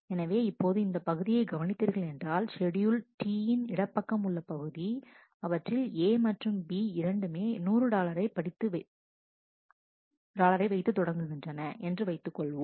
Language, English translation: Tamil, So now, you focus on this part, on the left part of schedule T where we are assuming that A and B both have 100 dollar to start with